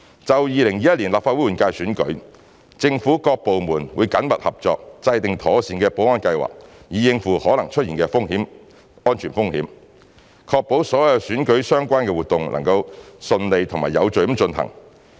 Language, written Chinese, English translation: Cantonese, 就2021年立法會換屆選舉，政府各部門會緊密合作，制訂妥善保安計劃，以應付可能出現的安全風險，確保所有與選舉相關的活動能夠順利及有序地進行。, For the 2021 Legislative Council General Election various government departments will work closely to formulate an appropriate security plan to deal with possible risks that may occur and ensure that all election - related activities will be conducted in a smooth and orderly manner